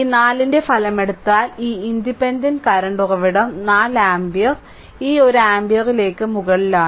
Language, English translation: Malayalam, So, if you take the resultant of this 4 a this independent current source 4 ampere upward this one ampere